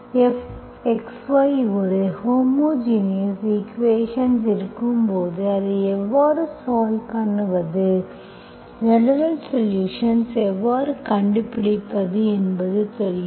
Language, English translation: Tamil, When F of x, y is a homogeneous equation, you know how to solve it, you know how to find the general solution